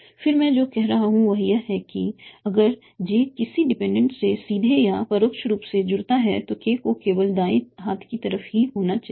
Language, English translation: Hindi, Then what am I seeing is that if j connects to array dependent either directly or indirectly that k has to be on the right in side only